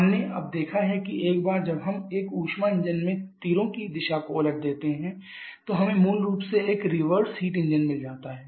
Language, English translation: Hindi, There are gaseous free like we have now seen that once we reverse the directions of the arrows in a heat engine we basically get a reverse heat engine